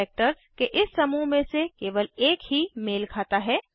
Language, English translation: Hindi, Only one out of this group of characters is matched